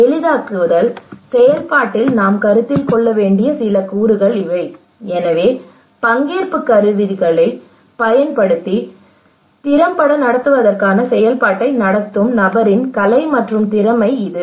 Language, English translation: Tamil, These are some of the components we should consider in the facilitation process so it is a kind of art and skill of the facilitator to conduct effectively participatory tools